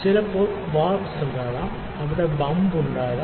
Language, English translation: Malayalam, So, sometimes there can be warps there can be bumps